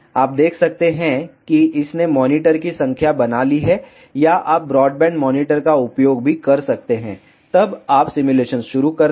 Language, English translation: Hindi, You can see it has created number of monitors or you can also use the broadband monitor then you start the simulation